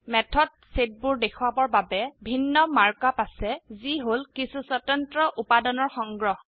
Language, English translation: Assamese, Math has separate mark up to represent Sets, which are collections of distinct elements